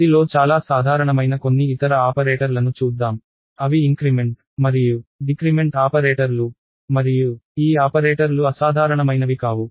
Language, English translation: Telugu, Let us look at a few other operators that are useful and very common in C and increment and decrement operators, these operators which are actually unusual not uncommon unusual